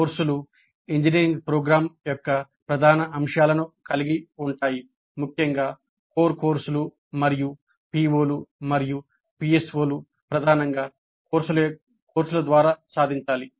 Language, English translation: Telugu, Courses constitute major elements of an engineering program particularly the core courses and POs and PSOs have to be majorly attained through courses